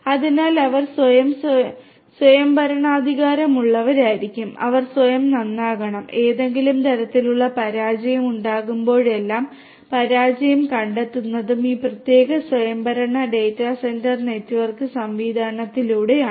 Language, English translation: Malayalam, And so they have to be yes fully autonomous they have to repair on their own and whenever there is some kind of failure the detection of the failure should also be done by this particular autonomous data centre network system